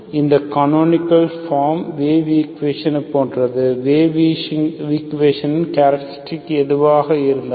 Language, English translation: Tamil, So similar to, this canonical form is similar to the wave equation, so whatever characteristic of the wave equation